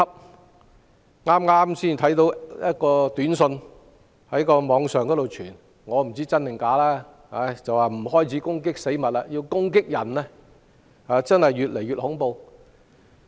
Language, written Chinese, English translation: Cantonese, 我剛剛在網上看到一則短訊，不知道是真是假，短訊提到有人開始不攻擊死物，反而攻擊人，情況真是越來越恐怖。, I have just saw a text message on the Internet but I am not sure if it is true or fake . The text message mentioned that some people have started to attack people rather than lifeless objects and the situation is getting more and more scary